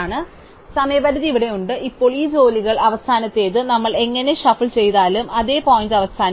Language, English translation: Malayalam, So, deadline is here, now the last of these jobs regardless of how we shuffle them will end the same point